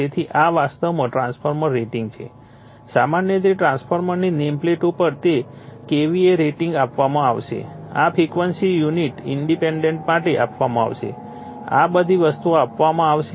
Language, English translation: Gujarati, So, this is actually transformer rating generally on the transformer nameplate you will find it is K V a rating will be given right, this frequency will be given for unit impedance will be given all this things will be given